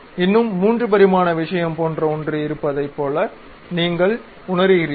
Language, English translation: Tamil, You still start feeling like there is something like a 3 dimensional thing